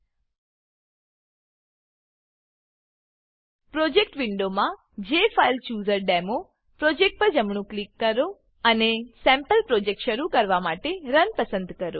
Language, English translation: Gujarati, Right click the JFileChooserDemo project in the Project window, and select Run to start the sample project